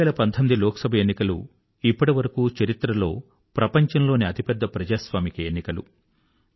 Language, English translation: Telugu, The 2019 Lok Sabha Election in history by far, was the largest democratic Election ever held in the world